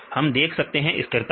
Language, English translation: Hindi, So, we can see stability